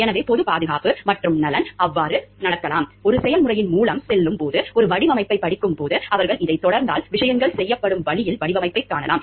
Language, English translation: Tamil, So, public safety and welfare it may so happen; like while going through a process, while studying a design, they may find like if they continue with this the design on the way that the things are being done